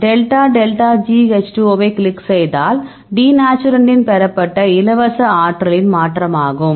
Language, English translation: Tamil, So, if you click on the delta delta G H 2 O all right, this is the change in the free energy obtained denaturant